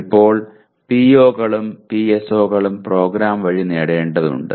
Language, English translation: Malayalam, Now POs and PSOs are to be attained by the program